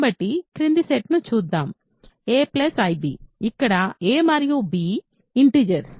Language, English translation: Telugu, So, let us look at the following set: a plus ib, where a and b are integers